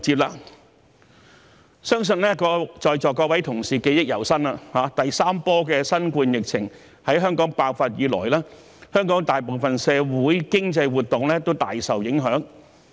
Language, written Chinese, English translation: Cantonese, 我相信在座各位同事記憶猶新，第三波的新冠肺炎疫情在香港爆發以來，香港大部分社會經濟活動均大受影響。, I believe that the Honourable colleagues here can vividly remember how most of our socio - economic activities have been greatly affected since the outbreak of the third wave of the COVID - 19 epidemic in Hong Kong